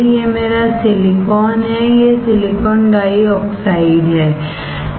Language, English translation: Hindi, This is my silicon, this is silicon dioxide